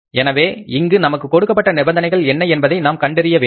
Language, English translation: Tamil, So, we'll have to find out that what are the conditions given in the case here